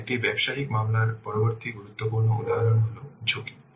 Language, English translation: Bengali, Next important component of a business case is the risk